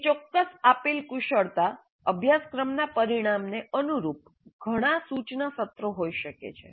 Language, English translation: Gujarati, And corresponding to one particular given competency or course outcome, there may be multiple instruction sessions